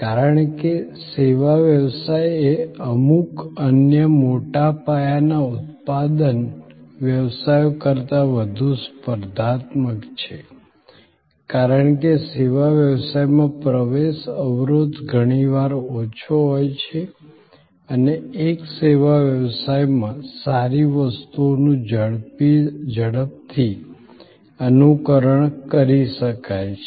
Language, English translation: Gujarati, Because, service business is much more competitive than certain other large scale manufacturing businesses, because the entry barrier in the service business is often lower and good things in one service business can be quickly emulated